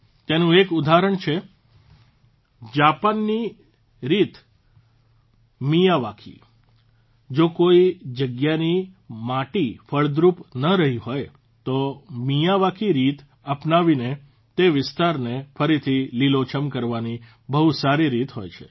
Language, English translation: Gujarati, An example of this is Japan's technique Miyawaki; if the soil at some place has not been fertile, then the Miyawaki technique is a very good way to make that area green again